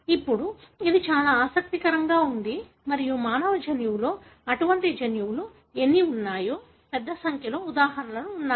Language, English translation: Telugu, Now, this is very interesting and there are a large number of examples in the human genome as to how many such genes exist